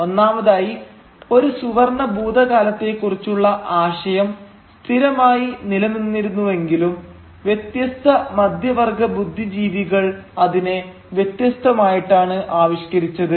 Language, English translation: Malayalam, Firstly, though the notion of a golden past remained mostly constant, different middle class intellectuals conceived it differently